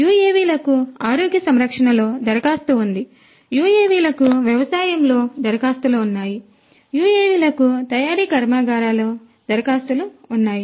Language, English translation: Telugu, UAVs have application in health care, UAVs have applications in agriculture, UAVs have applications in manufacturing plants